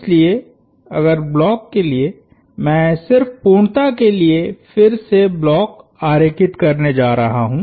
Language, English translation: Hindi, So, if for the block I am going to draw the block again just for the sake of completeness